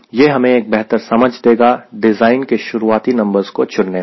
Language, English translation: Hindi, that gives us a better understanding of ah design to fix initial numbers